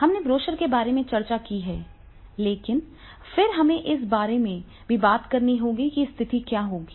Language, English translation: Hindi, We have discussed about the brochure, but then we have to talk also about that is what will be the situation